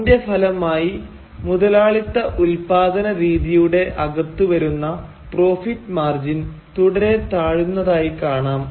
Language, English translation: Malayalam, As a result, therefore, the profit margin within the capitalist mode of production, industrial mode of production, is seen to be continuously deteriorating